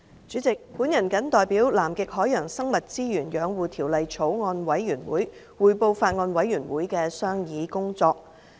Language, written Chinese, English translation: Cantonese, 主席，我謹代表《南極海洋生物資源養護條例草案》委員會，匯報法案委員會的商議工作。, President on behalf of the Bills Committee on Conservation of Antarctic Marine Living Resources Bill I report on the deliberations of the Bills Committee